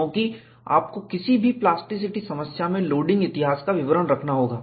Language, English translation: Hindi, Because, you have to keep track of the loading history, in any plasticity problem